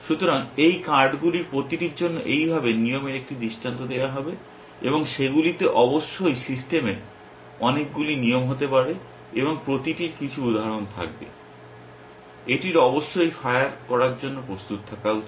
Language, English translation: Bengali, So, like this for each of this cards, 1 instance of the rule will fire and they may be of course many rules in the system and each will have some instances, it should ready to fire essentially